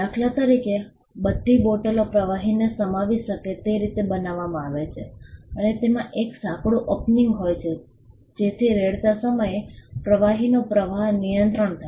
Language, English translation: Gujarati, For instance, all bottles are shaped in a way to contain fluids and which have a narrow opening so that the flow of the liquid is controlled while pouring